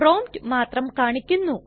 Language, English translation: Malayalam, Only the prompt will be printed